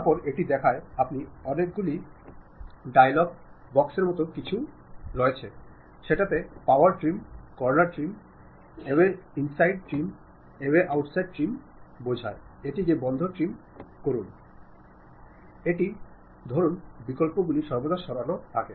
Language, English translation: Bengali, Then it shows you many dialog boxes something like there is power trim, corner trim, trim away inside, trim away outside, trim to close it, this kind of options always be there